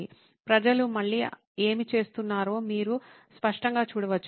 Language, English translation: Telugu, You can see it clearly what people are going through again